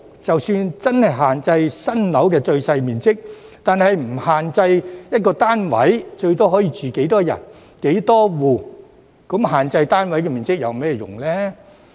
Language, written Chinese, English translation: Cantonese, 即使真的限制新建住宅單位的最小面積，若不限制每單位最多可住多少人、多少戶，那又有甚麼用呢？, What is the point of regulating the minimum size of new residential units if there are no restrictions on the maximum number of occupants and households in a unit?